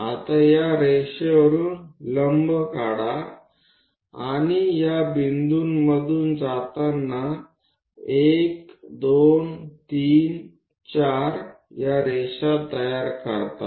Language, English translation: Marathi, Once that is done we draw parallel lines to these points 1 2 3 4 5 6